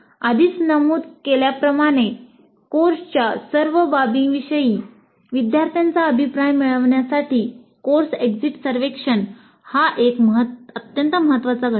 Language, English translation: Marathi, As already noted, the course exit survey is an extremely important component to obtain feedback from the students regarding all aspects of the course